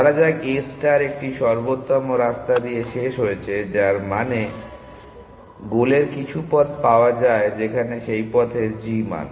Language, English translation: Bengali, Let A star terminate with a non optimal path, which means it is found some paths to the goal where the g value of that path